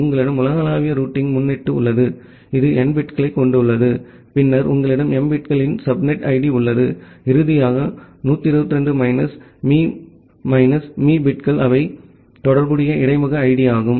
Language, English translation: Tamil, You have a global routing prefix which is of n bits and then you have a subnet id of m bits and finally, 128 minus m minus m bits which are the corresponding interface id